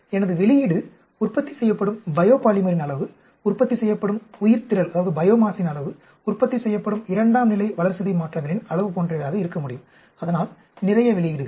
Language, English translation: Tamil, My output could be, amount of, say, biopolymer produced, amount of biomass produced, amount of secondary metabolites produced, so lot of outputs